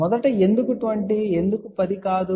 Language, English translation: Telugu, First of all why 20, why not 10